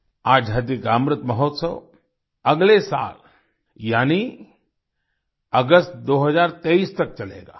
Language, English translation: Hindi, The Azadi Ka Amrit Mahotsav will continue till next year i